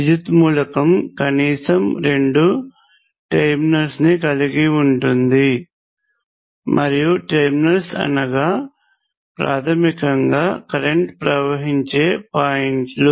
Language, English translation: Telugu, An electrical element has at least two terminals, and what are terminals basically they are points into which current can flow